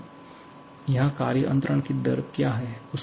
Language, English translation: Hindi, Now, what is the rate of work transfer here